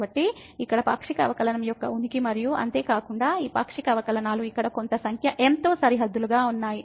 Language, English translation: Telugu, So, the existence of the partial derivative here and moreover, these partial derivatives are bounded by some number here